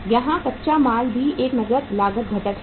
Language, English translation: Hindi, Here raw material is also a cash cost component